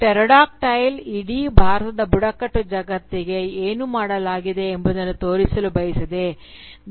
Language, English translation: Kannada, Pterodactyl wants to show what has been done to the entire tribal world of India